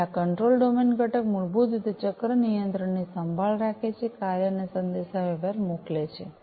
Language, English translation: Gujarati, So, this control domain component basically takes care of the cycle control sends actuation and communication